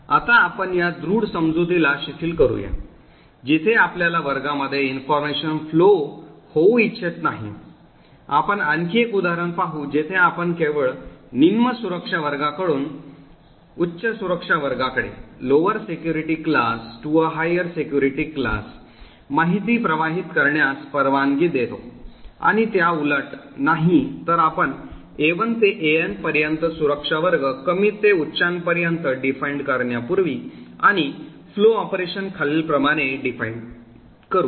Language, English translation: Marathi, Now let us relax this strong assumption where we do not want to have information flow between classes, we will see another example where we only permit information flow from a lower security class to a higher security class and not vice versa, so as before we define security class A1 to AN ranging from low to high and define the flow operation as follows